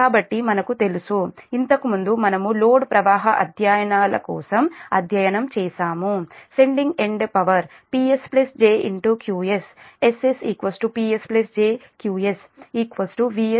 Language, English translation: Telugu, previously we have studied for load flow studies also that sending end power, p s plus j q s s is equal to p s plus j q s is equal to v s i conjugate